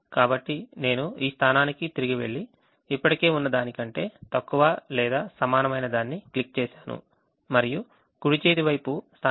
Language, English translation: Telugu, so i go back to this position and click the less than or equal to, which is already there, and the right hand side position is here which is d six